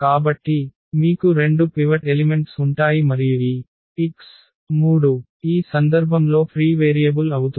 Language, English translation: Telugu, So, you will have 2 pivot elements and this x 3 will be the free variable in this case